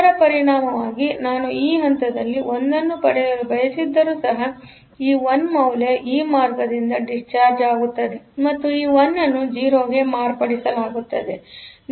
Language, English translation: Kannada, As a result even if I want to get a 1 at this point, this 1 will get discharged by this path and this 1 will be modified to 0